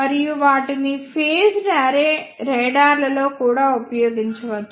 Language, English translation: Telugu, And they can also be used in phased array radars